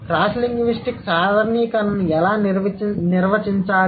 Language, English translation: Telugu, So, cross linguistic generalizations